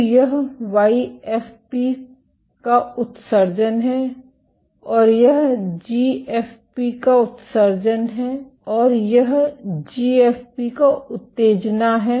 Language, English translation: Hindi, So, this is emission of YFP and this is excitation of GFP